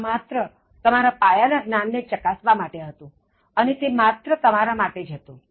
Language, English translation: Gujarati, This is just to test your basic knowledge and it is only for you